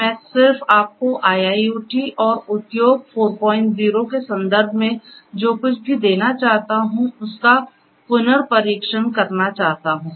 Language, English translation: Hindi, So, I just wanted to give you a recap of what we have in terms of IIoT and industry 4